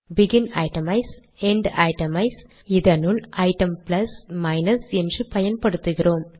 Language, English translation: Tamil, Begin itemize, End itemize, within that we used item plus minus